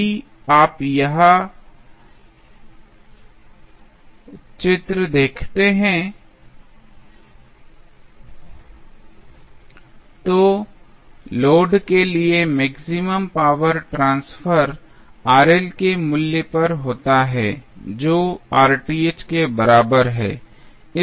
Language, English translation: Hindi, If you see this figure, the maximum power transfer to the load happens at the value of Rl which is equal to Rth